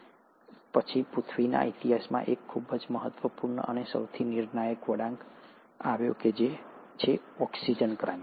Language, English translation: Gujarati, But then, there has been a very important and one of the most crucial turn of events in history of earth, and that has been the oxygen revolution